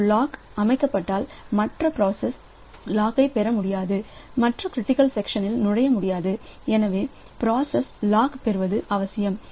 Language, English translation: Tamil, So, if a lock is set, so in the other process will not be able to acquire the lock and to enter into the critical section so it is necessary that we that the process acquires the law